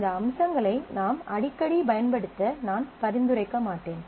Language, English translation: Tamil, And I would not recommend that you frequently use these features